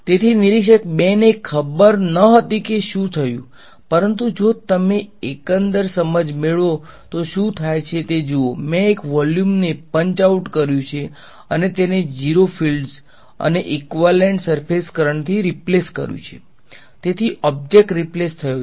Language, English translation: Gujarati, So, observer 2 did not know what happened, but just see what is if you get the overall picture what have I done, I have punched out one volume and replaced it by a 0 fields and set of equivalent surface currents